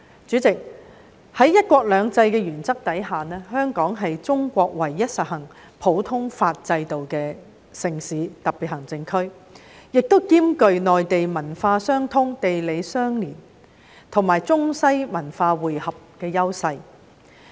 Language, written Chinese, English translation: Cantonese, 主席，在"一國兩制"的原則下，香港是中國唯一實行普通法制度的城市和特別行政區，亦兼具與內地文化相通、地理相鄰，以及中西文化匯合的優勢。, President under the principle of one country two systems Hong Kong is the only city and special administrative region in China where the common law system is practised coupled with the advantages of cultural connectivity and geographical proximity with the Mainland as well as convergence of Chinese and Western cultures